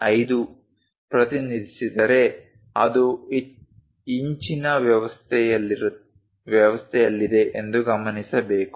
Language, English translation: Kannada, 5 then it should be noted that it is in inch system